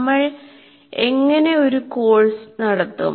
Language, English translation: Malayalam, Now how do we conduct the course